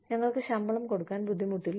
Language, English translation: Malayalam, We should not pay our salaries